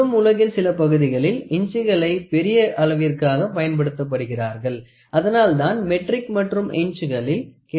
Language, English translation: Tamil, Even today inches are used in big weight in some part of the world so, that is why we still have both metric and inches